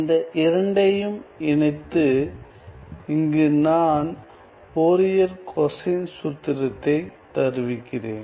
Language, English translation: Tamil, So, let me just you know combining these two, I am going to derive this Fourier cosine formula here